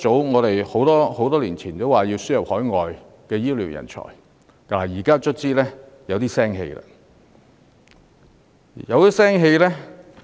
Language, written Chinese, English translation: Cantonese, 我們很多年前已經提出，要輸入海外醫療人才，現在終於有點眉目。, Years ago we proposed the admission of overseas health care talents and now we are finally seeing some progress